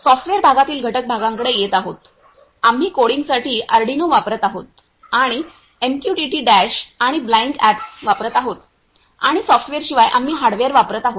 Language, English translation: Marathi, Coming to the components parts in the software part, we are using Arduino for coding and we are using MQTT Dash and Blynk apps and other than software we are using hardware